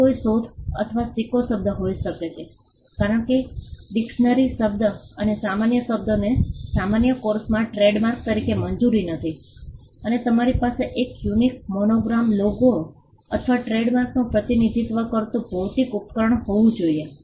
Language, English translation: Gujarati, It can be an invented or a coined word, because dictionary word and generic words are not allowed as trademarks in the normal course and you can have a unique monogram logo or a geometrical device representing the trademark